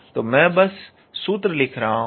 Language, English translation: Hindi, So, I am just writing the formula